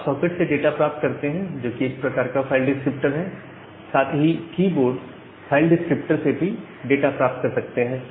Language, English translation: Hindi, So, you can get the data from the socket, which is one of the file descriptor as well as the keyboard file descriptor simultaneously